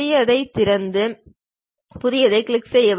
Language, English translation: Tamil, Open the new one, then we click the New one